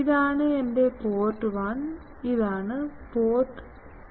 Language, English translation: Malayalam, This is my port 1, this is my port 2